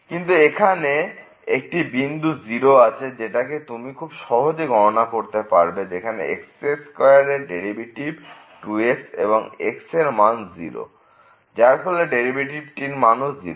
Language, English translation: Bengali, But there is a point here 0 which you can easily compute again from this square is a derivative is 2 and is equal to 0 the derivative will become 0